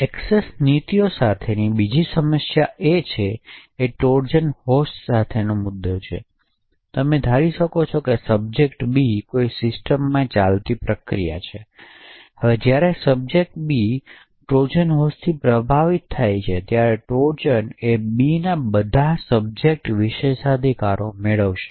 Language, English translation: Gujarati, Another problem with discretionary access policies is the issue with Trojan horses, essentially when a subject B you can assume that subject B is a process running in a system, so when the subject B is affected by a Trojan horse, the Trojan would get to inherit all the subjects privileges